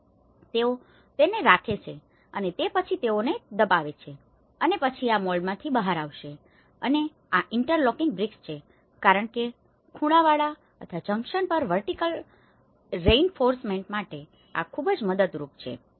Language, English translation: Gujarati, So, they keep that and then they press it and then these moulds will come out of it and this is where the interlocking bricks because these are very helpful for having a vertical reinforcement at the corners or the junctions